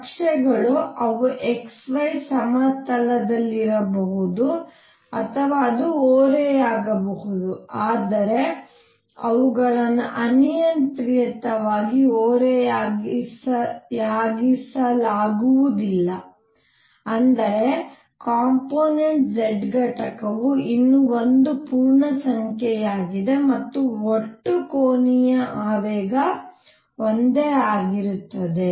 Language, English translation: Kannada, That the orbits are such that they could be either in the x y plane or they could be tilted, but they cannot be tilted arbitrarily they would be tilted such that the z component is still an integer multiple of h cross and the total angular momentum remains the same